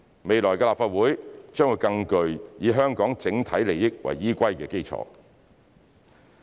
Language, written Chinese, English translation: Cantonese, 未來的立法會將會更具以香港整體利益為依歸的基礎。, The future Legislative Council will be formed on a basis which puts the overall interests of Hong Kong first